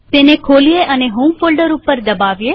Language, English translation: Gujarati, Lets open it.Click on home folder